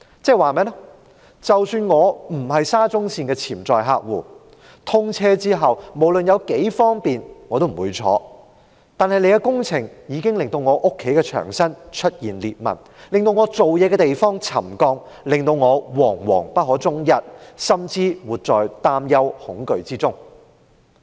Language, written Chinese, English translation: Cantonese, 即是說，即使我不是沙中線的潛在乘客，通車後無論有多方便我也不會乘搭，但工程已經令我家中的牆身出現裂紋，令我工作的地方沉降，令我惶惶不可終日，甚至活在擔憂、恐懼之中。, That is to say even if I am not a potential passenger of SCL and that I will not take SCL after commissioning regardless of how convenient it is the works have already caused cracks on the walls in my home led to settlement in my workplace and put me in a constant state of anxiety worries and fear